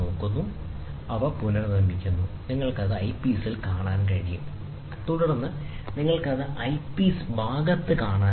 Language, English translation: Malayalam, And then it comes back, they get reconstructed, and you can see it at the eyepiece, and then you can subsequently see it in the in the eyepiece side